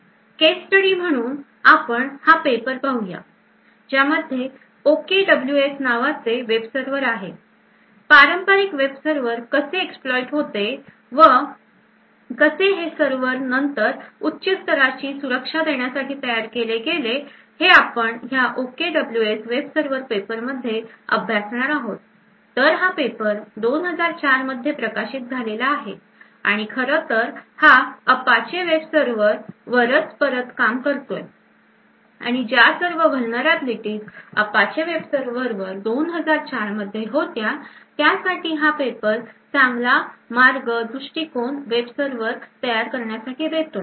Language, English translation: Marathi, As a case study for this approach we would look at this particular paper over here which designs something known as the OKWS web server, so it shows how a typical web server can be exploited and how a web server can be then designed so as to get higher levels of security, as a case study we would look at this particular paper on the OKWS web server, so this paper was published in 2004 and it starts off with actually redoing the Apache web server and all the vulnerabilities that were present in the Apache web server in 2004 and it also provides a design for a better approach for designing a web server